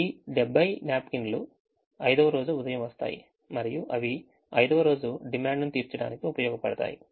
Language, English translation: Telugu, this seventy arrive are the morning on the fifth day and they can be use to meet the demand of the fifth day